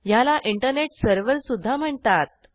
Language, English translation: Marathi, It is also known as Internet server